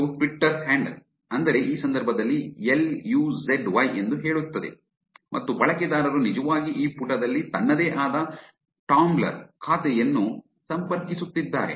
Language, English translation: Kannada, This is Twitter handle which says in this case I'll use at Y and this user is actually connecting her own Tumblr account in this page